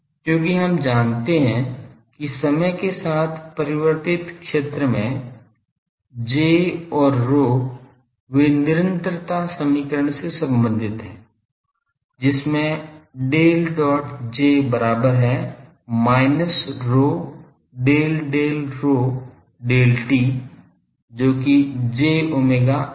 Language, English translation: Hindi, Because we know that J and rho in an time varying field they are related by the continuity equation which is Del dot J is equal to minus rho Del Del rho del t that is j omega rho